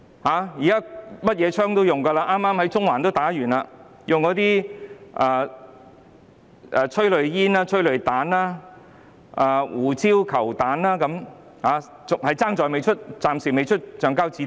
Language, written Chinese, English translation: Cantonese, 警方剛剛在中環使用催淚煙、催淚彈、胡椒球彈，暫時只欠橡膠子彈。, Just now the Police have used tear smoke tear gas and pepper ball guns in Central; the only firearm not being used for the time being is rubber bullet